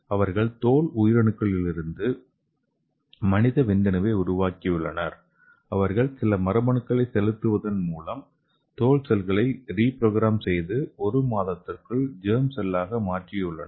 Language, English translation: Tamil, So how they created so they have created the human sperm from skin cells and they reprogrammed this skin cells by introducing some genes and within a month the skin cell become a germ cell